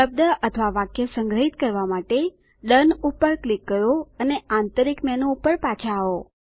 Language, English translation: Gujarati, Lets click DONE to save the word or sentence and return to the Internal menu